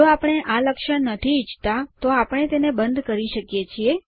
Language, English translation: Gujarati, If we do not like this feature, we can turn it off